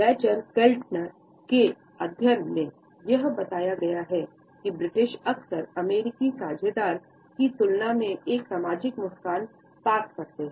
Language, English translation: Hindi, It has been pointed out in this study by Dacher Keltner that the British more often pass a social smile in comparison to their American partners